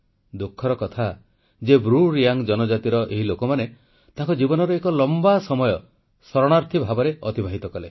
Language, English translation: Odia, It's painful that the BruReang community lost a significant part of their life as refugees